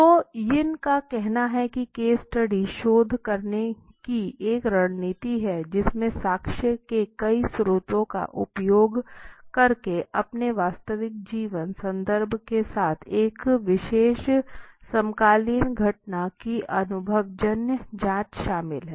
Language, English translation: Hindi, So Yin says case study is a strategy for doing research which involves an empirical investigation of a particular contemporary phenomenon with its real life context using multiple sources of evidence